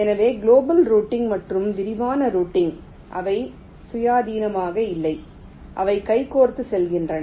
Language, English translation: Tamil, ok, so global routing and detailed routing, they are not independent, they go hand in hand